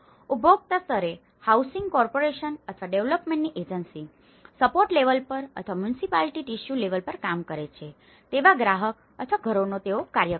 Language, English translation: Gujarati, The consumer or households they act on infill level, the housing corporation or a development agency on a support level or the municipality works on a tissue level